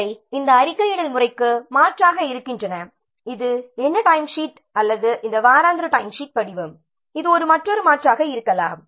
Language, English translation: Tamil, These are alternatives to this reporting method, this what time sheet or this weekly timesheet form